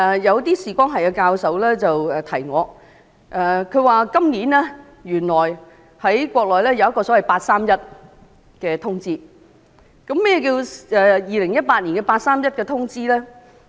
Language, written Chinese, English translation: Cantonese, 有視光學教授提醒我，原來今年在內地提出一項"八三一"通知，何謂2018年的"八三一"通知呢？, A professor of Optometry reminded me that a 31.8 notice was issued on the Mainland this year . What is the 31.8 notice of 2018?